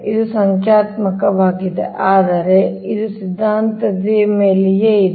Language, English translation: Kannada, it is numerical, but it is something like theory, right